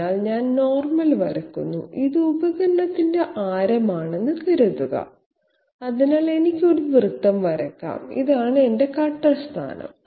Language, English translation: Malayalam, So I draw the normal, this suppose is the radius of the tool, so I can draw a circle and this is my cutter position